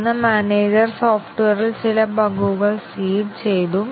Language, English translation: Malayalam, And then, the manager seeded some bugs in the software